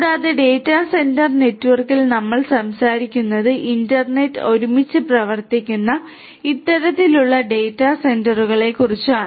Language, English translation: Malayalam, And, in the data centre network what we are talking about we are talking about these kind of data centres which are internet worked together right